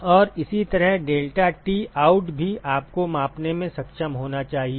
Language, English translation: Hindi, And similarly deltaT out also you should be able to measure